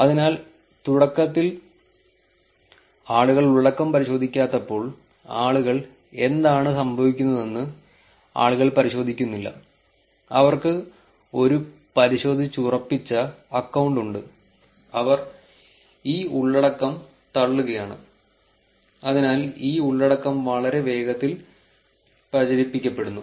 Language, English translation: Malayalam, So, there is a problem as I said where initially people do not verify the content, people do not check what is going on, they have a verified account, they are just pushing this content and therefore, this content gets propagated much faster